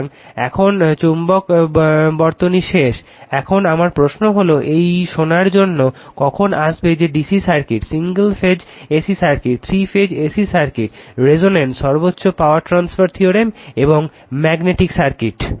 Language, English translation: Bengali, So, now, magnetic circuit is over, now my question is that when you will come up to this listening that the DC circuit, single phase AC circuit, 3 phase AC circuit, resonance, maximum power transfer theorem and magnetic circuit